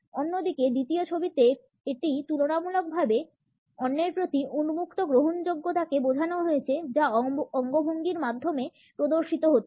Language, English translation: Bengali, On the other hand, in the second photograph it is relatively an open acceptance of the other which is displayed through the gestures and postures